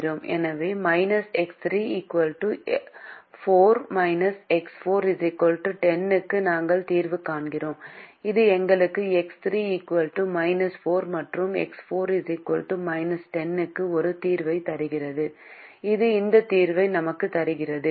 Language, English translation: Tamil, so we solve for minus x three equals four, minus x four equals ten, which gives us a solution: x three equal to minus four and x four equal to minus ten